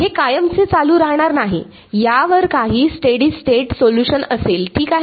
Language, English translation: Marathi, It will not continue forever, there will be some steady state solution to this ok